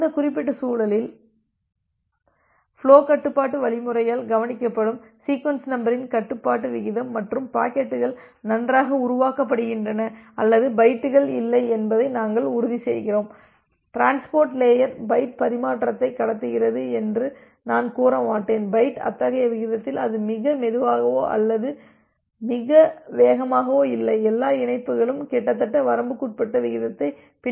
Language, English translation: Tamil, In that particular context this rate of control of sequence number that is taken care of by the flow control algorithm and we ensure that well the packets are generated or the bytes are not, I will not say generated that the transport layer transmits the byte transfers the byte in such a rate, so that it is not too slow or not too fast all the connections follow almost a bounded rate